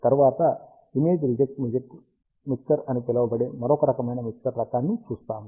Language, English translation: Telugu, Next, we will see an important mixer type, which is called as image reject mixer